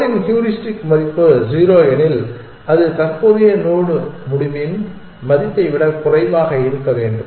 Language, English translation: Tamil, If the heuristic value of the goal is 0, then it should be lower than the value of the current node decision